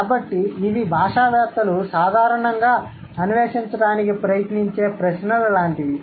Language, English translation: Telugu, So, these are like the questions which linguists generally try to explore, right